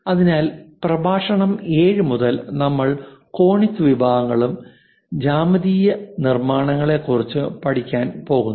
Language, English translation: Malayalam, So, in lecture 7 onwards we cover these conic sections and geometrical constructions